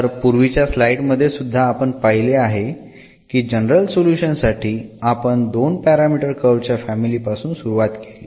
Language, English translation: Marathi, So, in the general solution also in the previous slide what we have observed we started with a two parameter family of curves